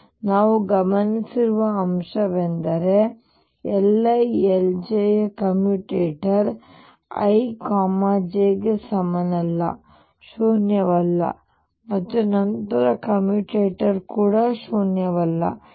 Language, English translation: Kannada, So, what we notice is that the commutator of L i L j, i not equals to j is not zero and then the commutator is not zero